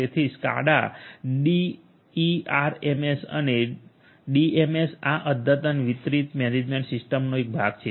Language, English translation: Gujarati, So, SCADA DERMS and DMS these are part of this advanced distributed management system